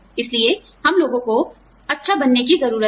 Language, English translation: Hindi, So, we need to be nice, to people